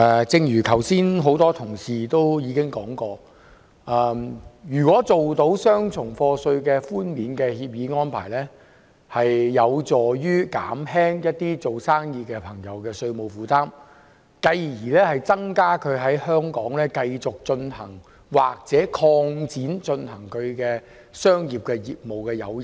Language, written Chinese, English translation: Cantonese, 正如剛才多位同事提到，簽訂雙重課稅寬免協定有助減輕營商人士的稅務負擔，增加他們在香港繼續營商或擴展業務的誘因。, As mentioned by a number of Honourable colleagues just now the conclusion of CDTAs helps alleviate the tax burden on business operators thus increasing the incentive for them to continue or expand their business in Hong Kong